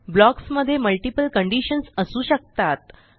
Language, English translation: Marathi, These blocks can have multiple conditions